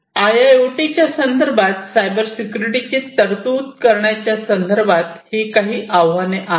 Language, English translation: Marathi, So, in the context of IIoT these are some of the challenges with respect to provisioning Cybersecurity